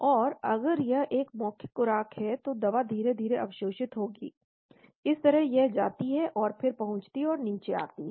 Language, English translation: Hindi, But whereas if it is a oral dosage drug will get absorbed slowly like that it goes and then reaches and comes down